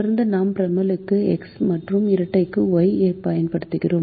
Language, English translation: Tamil, consistently we use x for the primal and y for the dual